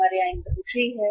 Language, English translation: Hindi, We have the inventories here